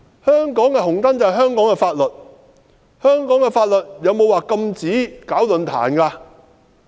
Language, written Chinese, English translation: Cantonese, 香港的"紅燈"就是香港的法律，香港的法律有否禁止舉辦論壇？, The red light of Hong Kong is actually the laws of Hong Kong . Do the laws of Hong Kong prohibit holding forums?